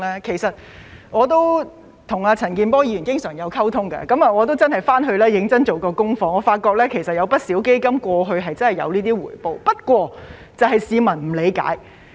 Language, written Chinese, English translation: Cantonese, 其實我經常跟陳健波議員溝通，亦曾回去認真做功課，發覺不少基金過去真的有這種回報，只不過市民不理解。, In fact I often communicate with Mr CHAN Kin - por and did some serious research . I found that many funds did yield this level of return in the past just that the public do not understand it